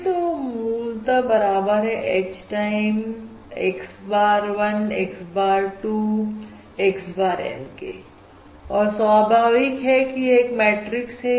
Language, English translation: Hindi, And this is basically equal to your H times, correspondingly, x bar of 1, x bar of 2, x bar of N, and, naturally, what is this matrix